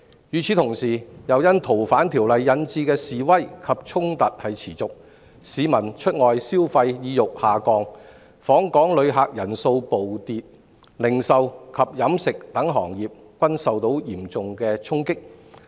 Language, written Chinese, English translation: Cantonese, 與此同時，《逃犯條例》引致的示威及衝突持續，市民出外消費意欲下降，訪港旅客人數暴跌，零售及飲食等行業均受到嚴重衝擊。, Meanwhile the ongoing protests and clashes sparked by the Fugitive Offenders Ordinance have hurt public sentiment in going out and spending money and precipitated a plunge in visitor number to Hong Kong dealing a serious blow to the retail and catering industries among others